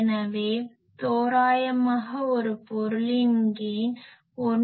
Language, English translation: Tamil, So, roughly the gain of a thing is 1